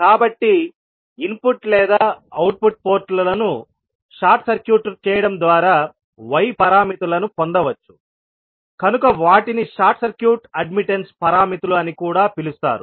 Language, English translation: Telugu, So, since the y parameters are obtained by short circuiting the input or output ports that is why they are also called as the short circuit admittance parameters